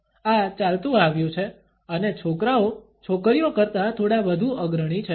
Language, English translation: Gujarati, This comes across and guys a little bit more prominently than in girls